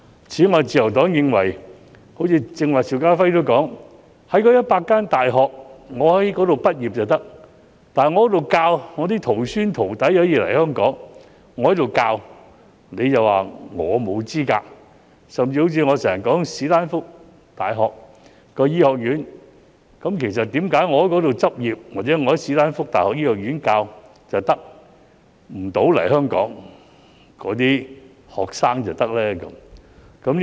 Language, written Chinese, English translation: Cantonese, 此外，自由黨認為，正如剛才邵家輝議員提到，在該100間大學畢業的便可以，在那裏學習的徒孫、徒弟可以來香港，但在那裏教學的卻被說成沒有資格，甚至我經常所說的史丹福大學的醫學院，為何在那裏執業或在史丹福大學醫學院任教的不能來香港，但其學生卻可以呢？, Besides as mentioned by Mr SHIU Ka - fai a while ago the Liberal Party wonders why the graduates of those 100 universities are qualified and the students studying there can come to Hong Kong but those who have taught there are considered not qualified . Take Stanford University School of Medicine as an example . I often cite this as an example